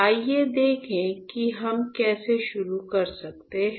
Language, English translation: Hindi, Let us see how can we start